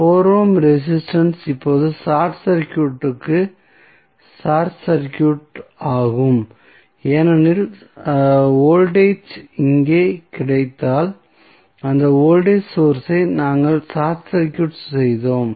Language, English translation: Tamil, 4 ohm resistance UC is now short circuited because the voltage was which was available here, we short circuited that voltage source